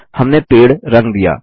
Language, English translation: Hindi, We have colored the tree